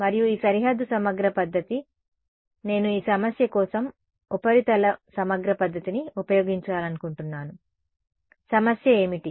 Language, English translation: Telugu, And these boundary integral method, supposing I want use a like a surface integral method for this problem, what will be the problem